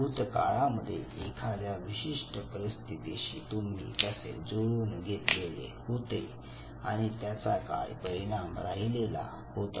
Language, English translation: Marathi, How you have interacted in the past in the given situation and what was the outcome